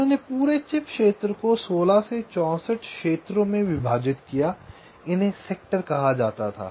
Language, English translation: Hindi, they divided the entire chip area into sixteen to sixty four regions